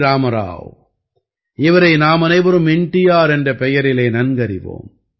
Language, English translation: Tamil, Rama Rao, whom we all know as NTR